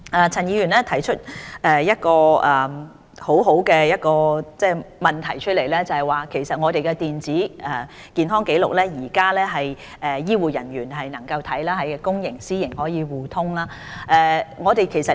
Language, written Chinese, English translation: Cantonese, 陳議員提出一個很好的問題，我們的電子健康紀錄目前可由醫護人員查詢，公營及私營醫療系統可以互通，這是第一期。, Mr CHAN has raised a very good question . At present our eHRs are only accessible by health care workers and these records can be shared by the private and public health care systems . This is the Stage One development